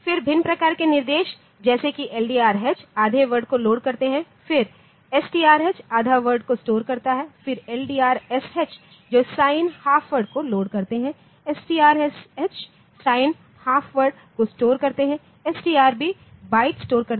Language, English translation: Hindi, Then the variants like LDRH load half word then STRH store half word, then LDRSH load signed half word, then store signed half word LDRB load byte, LDR STRB store byte